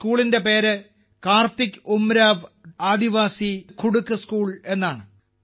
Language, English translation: Malayalam, The name of this school is, 'Karthik Oraon Aadivasi Kudukh School'